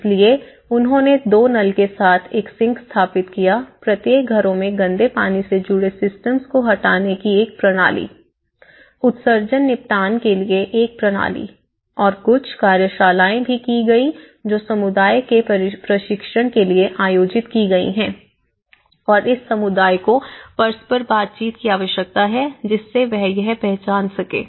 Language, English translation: Hindi, So here, they installed a sink with two taps, a system of removing grey water connected, a system in each houses for the excreta disposal and there has been also some workshops which has been conducted for the community the training and you know interactions so the community needs how are these identified